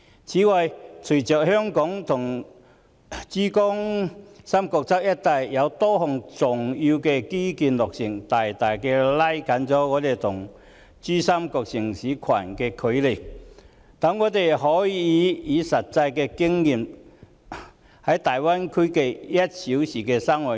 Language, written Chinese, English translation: Cantonese, 此外，隨着香港與珠三角一帶多項重要基建落成，大大拉近了我們與珠三角城市群的距離，讓我們可實際體驗大灣區 "1 小時生活圈"。, Moreover the completion of a number of major infrastructure projects connecting Hong Kong and the Pearl River Delta has significantly shortened the distance between us and cities in the Pearl River Delta Region enabling us to experience the one - hour living circle in the Greater Bay Area